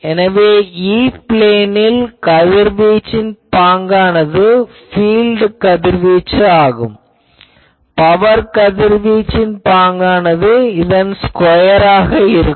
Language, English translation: Tamil, So, I can put the radiation pattern in the E plane that will, it is a field radiation pattern; power radiation pattern will be square of this